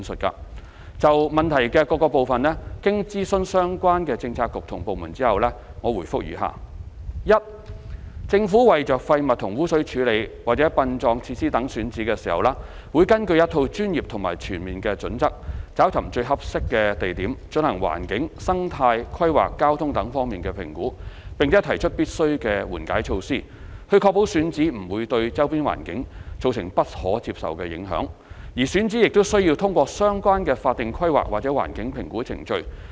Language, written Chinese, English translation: Cantonese, 就質詢的各個部分，經諮詢相關政策局及部門後，我現答覆如下：一政府為廢物和污水處理或殯葬設施等選址時，會根據一套專業及全面的準則找尋最合適的地點，進行環境、生態、規劃、交通等方面的評估，並提出必須的緩解措施，以確保選址不會對周邊環境造成不可接受的影響，而選址亦須通過相關的法定規劃或環境評估程序。, After consulting the relevant Policy Bureaux and departments my reply to the various parts of the question is as follows 1 In identifying sites for waste and sewage treatment or funeral facilities the Government will adopt a set of professional and comprehensive criteria for identifying the most suitable locations and conducting the relevant environmental ecological planning traffic etc . assessments . Necessary mitigation measures will be recommended to ensure that the identified sites will not cause unacceptable impacts to the surrounding environment